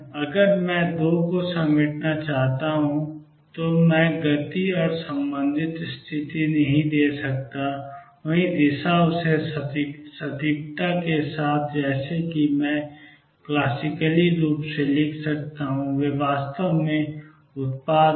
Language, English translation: Hindi, If I want to reconcile the 2 I cannot give the momentum and the associated position, the same direction with the same precision as I do classically and they product actually is h cross